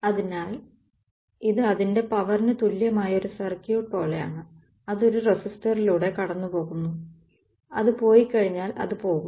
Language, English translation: Malayalam, So, this is like if you want to make a circuit equivalent of its like power that is going through a resistor once its goes its goes